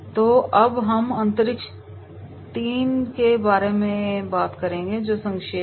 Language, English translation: Hindi, So, now we will talk about space 3 that is the summarising